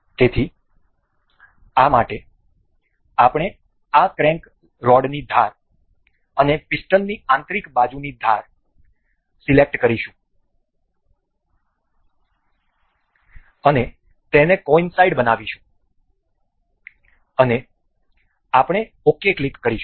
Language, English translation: Gujarati, So, for this we will select the edge of this crank rod and the edge of this piston inner side, and make it coincide, and we will click ok